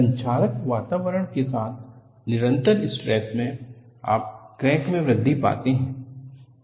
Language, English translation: Hindi, Sustained stress in conjunction with corrosive environment, you find crack advances